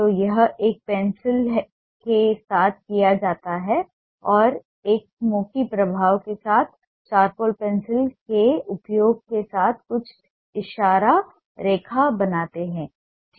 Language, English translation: Hindi, so this is done with a pencil and create some gesture line with the use of a charcoal pencil with a smudge effect